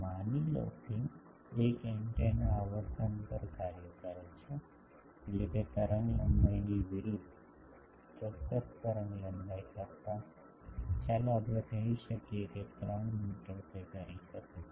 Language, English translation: Gujarati, Suppose, one antenna is operates over a frequency means inverse of that wavelength, over a certain wavelength, let us say 3 meter it can do